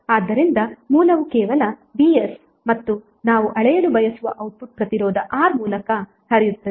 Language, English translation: Kannada, So the source is only Vs and the output which we want to measure is current flowing through resistor R